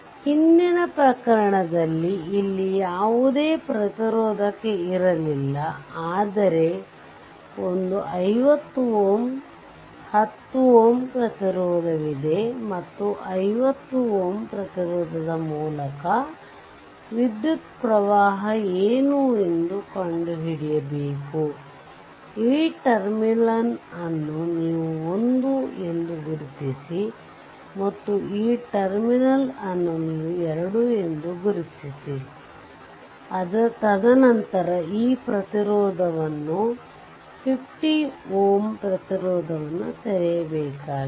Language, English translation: Kannada, Previous case there was no there was no resistor here, but one 50 ohm 10 ohm resistance is there and you have to find out that what is the current through the 50 ohm resistance say this terminal you mark at 1 and this terminal you mark at 2 right and then, you follow and so, first is we have to open this resistance 50 ohm resistance